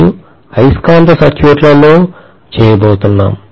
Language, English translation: Telugu, And that’s what we are going to do in magnetic circuits